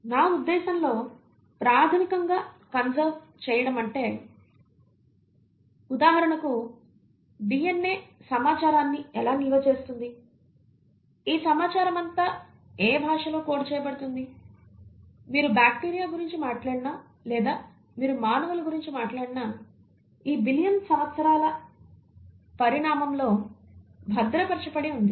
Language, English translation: Telugu, When I meant fundamentally conserved, for example how the DNA will store information, in what language all this information is coded, has remained conserved across these billion years of evolution, whether you talk about bacteria or you talk about human beings, you find that that genetic code by which the information is stored is highly conserved